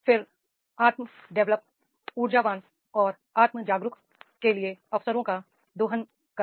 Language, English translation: Hindi, Then exploits opportunities for the self development, energetic and self aware